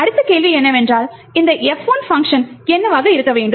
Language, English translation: Tamil, So, the next question is what should be this function F1